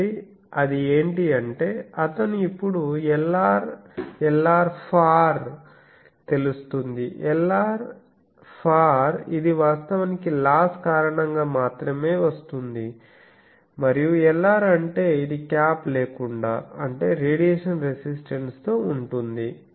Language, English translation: Telugu, So, what is doing in from this measurement from the measurement of this diagram and this Lr, so that means he now knows what is Lr ; far Lr far means actually due to the loss only and Lr this means that this is the with without cap, that means with radiation resistance